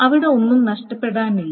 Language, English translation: Malayalam, Nothing can be lost there